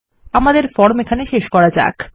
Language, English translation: Bengali, Lets end our form here